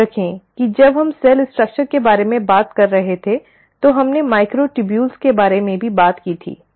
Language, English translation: Hindi, Remember we spoke about microtubules when we were talking about cell structure